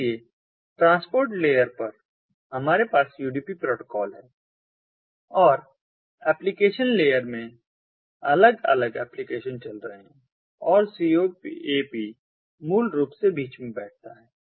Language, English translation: Hindi, so at the ah, at the transport layer, we have the udp protocol and different applications being run ah in the application layer and coap basically sits in between